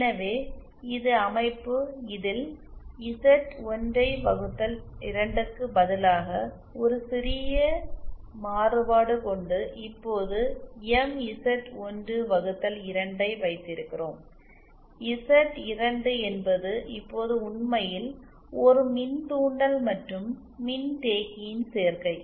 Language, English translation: Tamil, So this is the structure, it is a slight variation instead of Z1 upon 2, we now have MZ1 upon 2 and what used to be Z2 is now actually a combination of an inductor and a capacitor